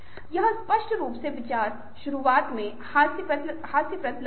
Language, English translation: Hindi, so it apparently the idea looked ridiculous at right at the beginning